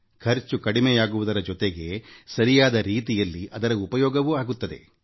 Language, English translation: Kannada, The expenses are reduced as well, and the gift is well utilized too